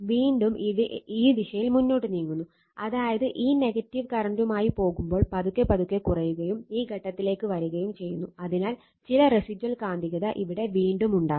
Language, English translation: Malayalam, And again further you are moving again in this direction, that again you are you are what you call go with your this negative current this side, you are slowly and slowly you are decreasing and coming to this point, so some residual magnetism again will be here